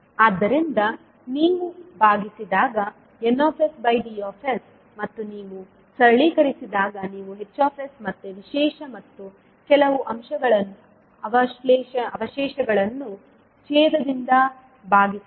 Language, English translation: Kannada, So when you divide d s by n s and you simplify you can represent h s as sum special plus some residual divided by denominator